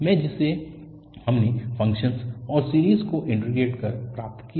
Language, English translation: Hindi, One was a0, which we got just by integrating the function and the series